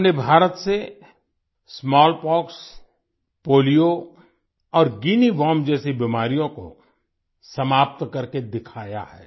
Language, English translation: Hindi, We have eradicated diseases like Smallpox, Polio and 'Guinea Worm' from India